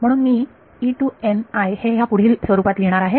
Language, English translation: Marathi, So, I am going to write E n i in this following form